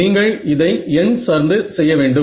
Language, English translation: Tamil, So, you have to do this numerically right